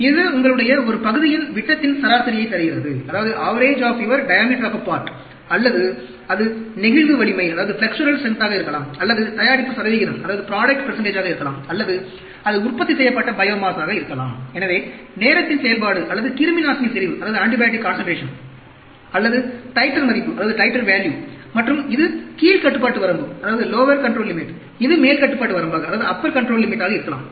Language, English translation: Tamil, This gives you an average of your, either the diameter of a part, or it could be flexural strength, or product percentage, or it could be biomass produced; so, as a function of time, or antibiotic concentration, or titer value and this is the lower control limit, this could be upper control limit